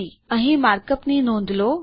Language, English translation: Gujarati, Notice the mark up here